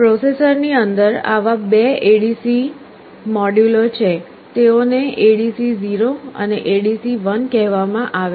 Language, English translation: Gujarati, Inside the processor there are two such ADC modules, they are called ADC0 and ADC1